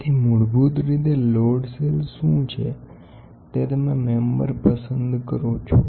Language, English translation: Gujarati, So, basically what is a load cell is you choose a member